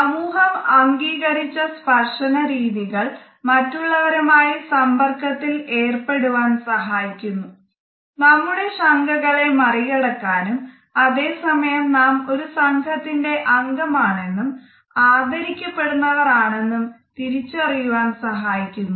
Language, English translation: Malayalam, Socially sanctioned polite touch behaviors help us to initiate interaction with others, help us to overcome our hesitations and at the same time it shows us that we are included in our team and that we are respected by others